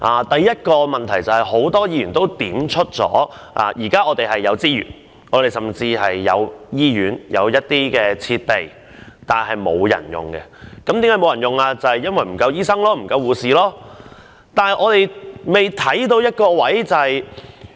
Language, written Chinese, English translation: Cantonese, 第一個問題，正如很多議員所說，現時是有資源的，甚至有醫院和設備，但沒有人使用，因為醫生和護士不足。, The first issue is as many Members have said that resources are now available and there are hospitals and facilities idled because there are insufficient doctors and nurses